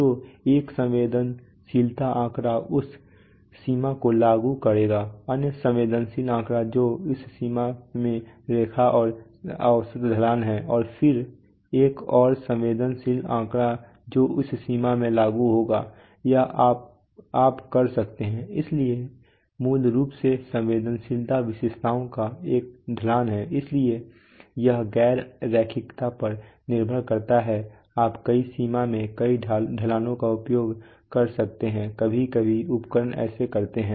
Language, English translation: Hindi, So one sensitivity figure will apply this range the other sensitivity figure which is a average slope of the line in this range and then another sensitivity figure which will apply in this range or you can, so basically sensitivity is the slope of the characteristics, so depending on the non linearity you have you can use multiple slopes on multiple ranges sometimes instruments do that